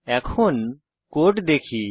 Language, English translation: Bengali, Lets look the code